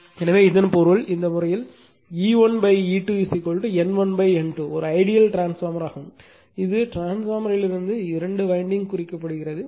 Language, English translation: Tamil, So that means, in this case your E 1 by E 2 is equal to N 1 by N 2 is an ideal transformer as if everything is taken out from the transformer are represented by two winding